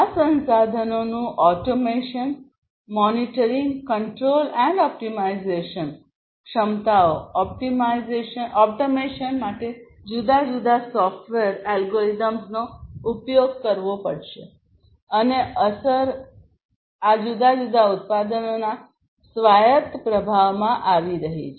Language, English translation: Gujarati, Automation; automation of these resources, monitoring, control, and optimization capabilities, different software algorithms will have to be used for the automation, and the effect is having autonomous performance of these different products